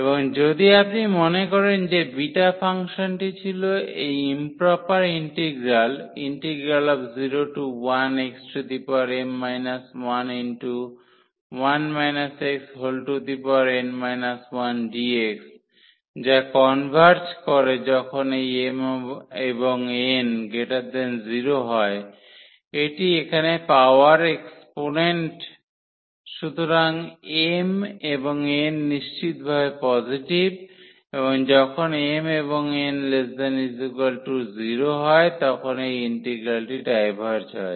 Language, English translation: Bengali, And, if you recall that the beta function was this improper integral 0 to 1 and x power n minus 1 x power n minus 1 dx which converges when this m and n, this number here in the power exponent so, m and n are strictly positive and the diverges this integral diverges when m and n they are less than or equal to 0